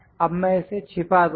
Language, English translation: Hindi, Now I will hide this